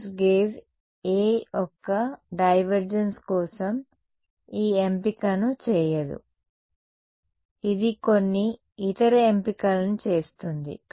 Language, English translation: Telugu, No coulombs gauge does not make this choice for divergence of A it makes some other choices